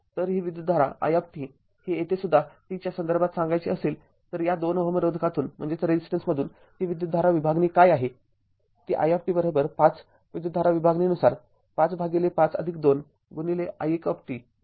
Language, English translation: Marathi, So, it will it will be the current division what is the current flowing through this 2 ohm resistance that is your I t is equal to 5 by current division 5 by 5 plus 2 into your i1t right